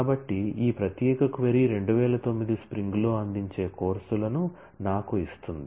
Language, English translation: Telugu, So, this particular query will give me the courses offered in spring 2009